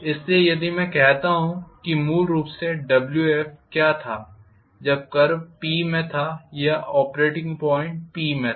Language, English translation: Hindi, So if I look at what was Wf originally when the curve was in P or the operating point was in P